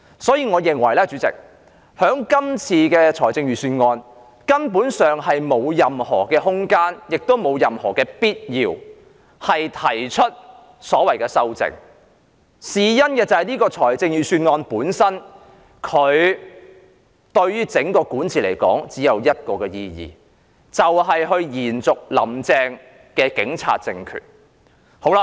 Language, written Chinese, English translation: Cantonese, 所以，主席，我認為這份預算案根本沒有任何空間，亦沒有任何必要提出修正案，原因是這份預算案對於整個管治來說只有一個意義，就是延續"林鄭"的警察政權。, Thus Chairman I think there is no room and no need to propose any amendment to the Budget because the Budget has only one meaning for the entire governing team ie . it serves to sustain the police regime of Carrie LAM